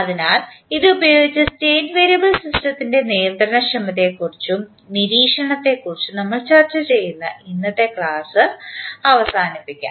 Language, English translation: Malayalam, So, with this we can close our today’s discussion in which we discuss about the controllability and observability aspect of the State variable system